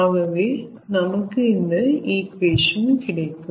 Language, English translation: Tamil, so this equation i have used